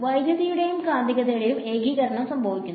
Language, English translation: Malayalam, And the unification of electricity and magnetism happens